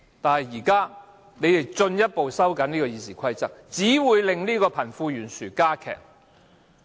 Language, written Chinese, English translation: Cantonese, 但是，現在他們進一步收緊《議事規則》，只會令貧富懸殊加劇。, But their present attempt to tighten the Rules of Procedure will instead widen the wealth gap